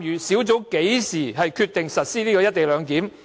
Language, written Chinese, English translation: Cantonese, 小組是在何時決定實施"一地兩檢"安排？, When did the task force decide to implement a co - location arrangement for XRL?